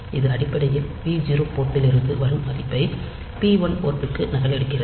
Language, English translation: Tamil, So, this is basically copying the value coming in p 0 port to the p 1 port